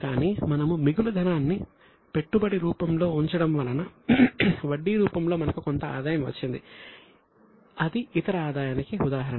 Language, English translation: Telugu, But from our surplus money we invested, we got some income from that investment in the form of interest, then it is an example of other income